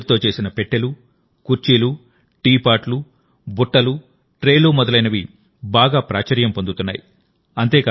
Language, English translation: Telugu, Things like boxes, chairs, teapots, baskets, and trays made of bamboo are becoming very popular